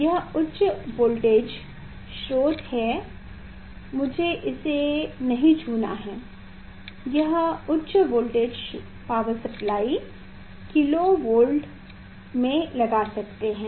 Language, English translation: Hindi, this is the high voltage source I should not touch it this high voltage power supply kilo volt we can apply